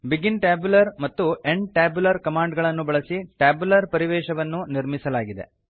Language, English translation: Kannada, The tabular environment is created using begin tabular and end tabular commands